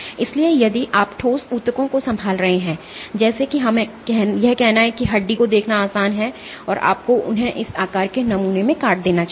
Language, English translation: Hindi, So, if you are handling solid tissues like let us say bone this is easy to see you should preferably cut them into this shape samples